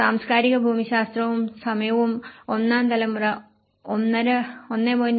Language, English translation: Malayalam, And the cultural geography and the time, that the first generation, 1